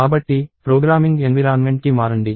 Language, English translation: Telugu, So, let us switch to the programming environment